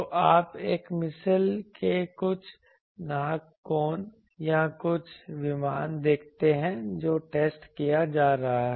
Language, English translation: Hindi, So, you see some nose cone of a missile or some aircraft that is getting tested